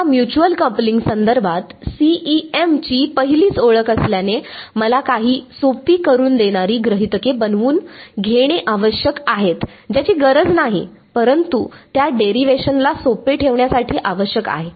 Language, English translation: Marathi, Now, since this is the very first introduction of CEM to mutual coupling, I need to make some simplifying assumptions which is not required, but it is just to keep the derivation simple